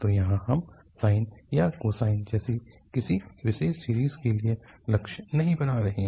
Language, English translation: Hindi, So, here, we are not aiming for a particular series like sine or cosine